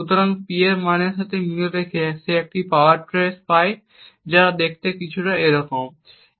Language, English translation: Bengali, So, corresponding to the P value he gets a power traced which looks something like this